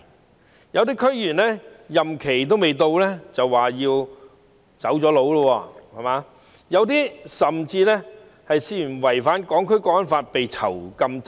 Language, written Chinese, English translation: Cantonese, 此外，有些區議員任期未滿便已"走佬"，有些甚至因涉嫌違反《香港國安法》而被囚禁。, Moreover some DC members have fled before their terms of office expire whereas some have been detained for alleged violation of the National Security Law